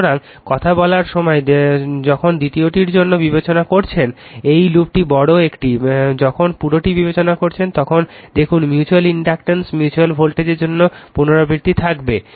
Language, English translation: Bengali, So, when you talking when you are considering for ith second this loop bigger one, when you considering the whole one at the time see the repetition will be there for the mutual induce mutual voltage right